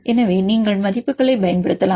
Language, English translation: Tamil, So, you can use the values